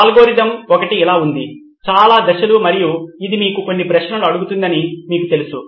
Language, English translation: Telugu, One of the algorithm looks like this, so many steps and you know it asks you certain questions